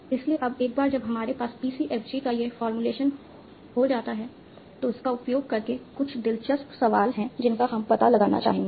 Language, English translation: Hindi, So now once we have formula for a PCFG, there are some interesting questions that we would like to explore using that